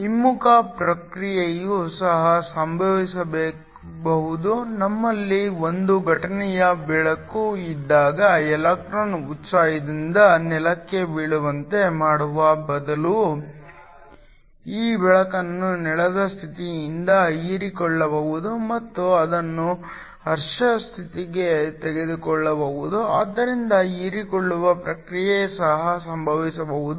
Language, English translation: Kannada, The reverse process can also occur, when we have an incident light instead of causing an electron to fall back from the excited to the ground this light can be absorbed by an electron the ground state and also take it to the excited state, so absorption process can also occur